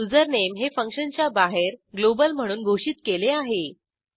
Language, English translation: Marathi, This is because username was declared globally outside the function